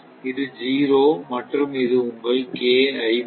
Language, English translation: Tamil, This is zero, this is zero